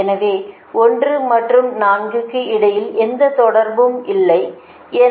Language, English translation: Tamil, so there is no connection between one and four